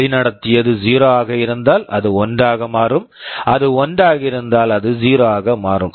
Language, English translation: Tamil, If led was 0, it will become 1; if it was 1 it will become 0